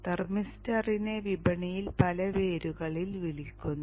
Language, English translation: Malayalam, So this thermister is called by various names in the market